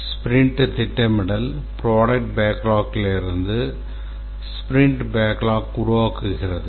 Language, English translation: Tamil, The sprint planning produces the sprint backlog from the product backlog